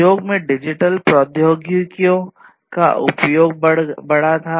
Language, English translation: Hindi, So, there was more and increased use of digital technologies in the industry